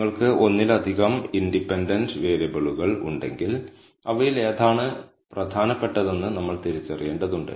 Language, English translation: Malayalam, Now, if you have multiple independent variables, then we also need to identify which of them are important